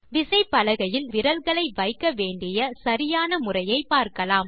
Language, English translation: Tamil, Now, lets see the correct placement of our fingers on the keyboard